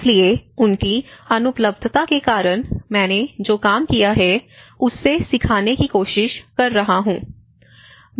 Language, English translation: Hindi, So, because of his non availability, I am trying to learn from what he has worked